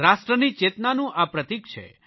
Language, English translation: Gujarati, It symbolises our national consciousness